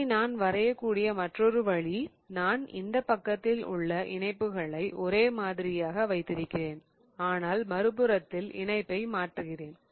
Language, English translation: Tamil, The other way I can draw this is I keep the attachments on this side the same but I change the attachment on the other side